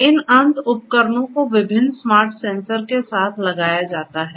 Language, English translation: Hindi, These end devices are fitted with different smart sensors